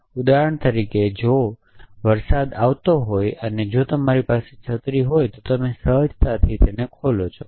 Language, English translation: Gujarati, For example, if you it is raining and if you happen caring and a umbrella you instinctively open it